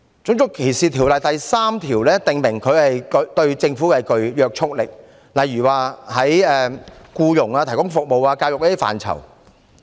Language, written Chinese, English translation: Cantonese, 《種族歧視條例》第3條訂明，條例對政府具約束力，例如在僱傭、提供服務及教育等範疇。, Section 3 of RDO provides that this Ordinance binds the Government eg . in areas such as employment provision of services education etc